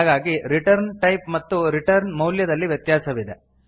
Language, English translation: Kannada, So, there is a mismatch in return type and return value